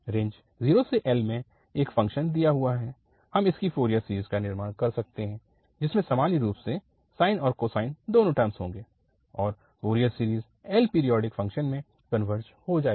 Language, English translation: Hindi, Given a function in the range 0 to L we can construct its Fourier series, which in general will have sine and cosine both the terms and the Fourier series it will converge to L periodic function, L periodic function